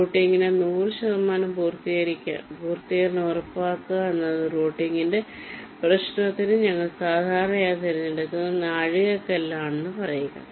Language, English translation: Malayalam, i mean ensuring hundred percent completion of routing is one of the milestones that we usually select for the problem of routing